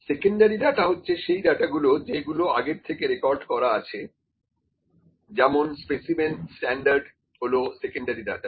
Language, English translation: Bengali, Secondary data is the data that is already recorded, for instance, the standards the specimen standards those are there, those are secondary data